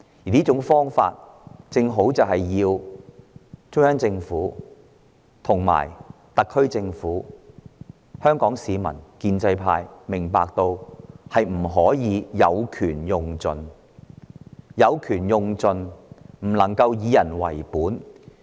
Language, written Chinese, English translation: Cantonese, 我希望中央政府、特區政府、香港市民及建制派明白，當權者不可有權用盡，否則便無法以人為本。, I hope the Central Government the SAR Government Hong Kong people and the pro - establishment camp will all understand that the authorities should never exercise their power to the fullest; otherwise their governance will not be people - oriented